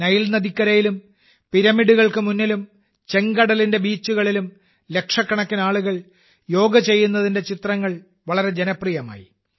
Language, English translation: Malayalam, The pictures of lakhs of people performing yoga on the banks of the Nile River, on the beaches of the Red Sea and in front of the pyramids became very popular